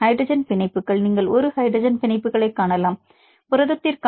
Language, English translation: Tamil, Hydrogen bonds, you can see a hydrogen bonds approximately you can see about 0